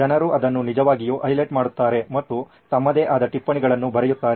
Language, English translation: Kannada, People actually highlight it and write their own notes